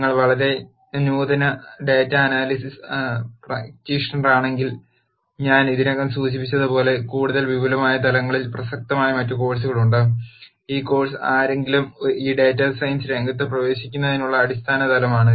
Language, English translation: Malayalam, As I mentioned already if you are a very advanced data analysis practitioner then there are other courses which are at more advanced levels that are relevant, this course is at a basic level for someone to get into this field of data science